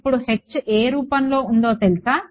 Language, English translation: Telugu, Now H you know is of what form